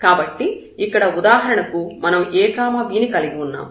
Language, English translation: Telugu, So, here for example, we have this ab point